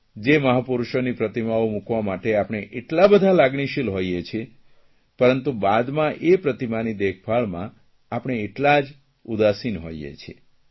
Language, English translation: Gujarati, We become so emotional about getting the statues of great men erected but become equally complacent when it comes to maintaining them